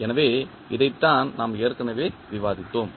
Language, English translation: Tamil, So, this is what we have already discussed